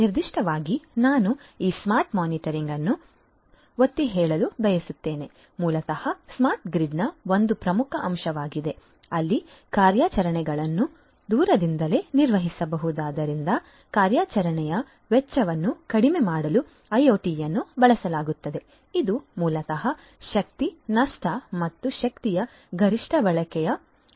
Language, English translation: Kannada, Concepts for smart metering building automation are also quite popular, smart metering particularly I would like to emphasize this smart metering basically is an important element of smart grid, where IoT is used to reduce the operational cost as the operations are remotely managed; this basically reduces the chances of energy loss and optimum use of energy